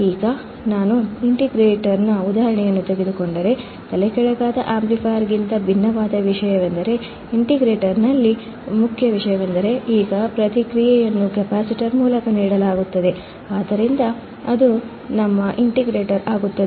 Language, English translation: Kannada, Now, if I take an example of the integrator the thing that is different from a non inverting amplifier is that the main thing in the integrator was that now the feedback is given through the capacitor, so that becomes our integrator